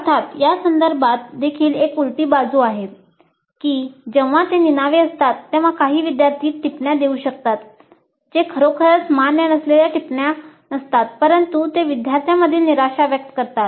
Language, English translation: Marathi, Of course there is a flip side to this also in the sense that when it is anonymous some of the students may give comments which are not really valid comments but they express the frustration of the students